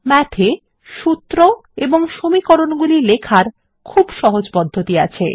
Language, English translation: Bengali, Math provides a very easy way of writing these formulae or equations